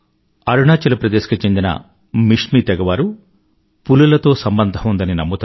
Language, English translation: Telugu, Mishmi tribes of Arunachal Pradesh claim their relationship with tigers